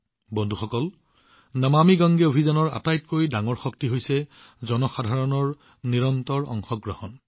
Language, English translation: Assamese, Friends, the biggest source of energy behind the 'Namami Gange' campaign is the continuous participation of the people